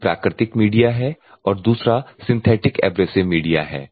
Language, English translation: Hindi, One is a natural media another one is synthetic abrasive media